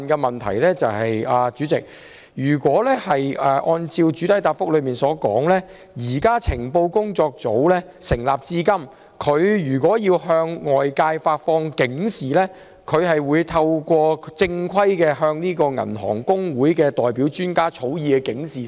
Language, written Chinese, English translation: Cantonese, 不過，主席，主體答覆提及，情報工作組成立至今，向外界發放警示的正規做法，是透過香港銀行公會發放由銀行代表專家草擬的警示。, However President according to the main reply since the establishment of FMLIT the proper way to issue alerts is that alerts drafted by the experts of the bank representatives should be issued through HKAB